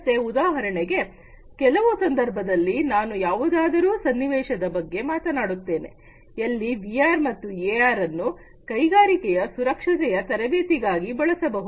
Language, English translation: Kannada, So, for example, there are situations I will also talk about a scenario, where VR as well as AR can be used for training of industrial safety